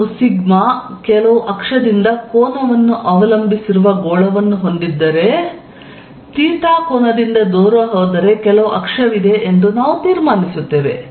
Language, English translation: Kannada, We conclude that if I have a sphere over which sigma depends on the angle from some axis, some axis if you go away by an angle theta, if sigma theta is sigma 0 cosine of theta